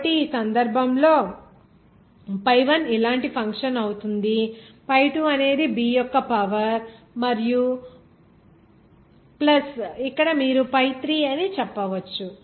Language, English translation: Telugu, So, in this case, this pi1 will be some function like this a into “you can say” pi2 some power b and plus here you can say pi3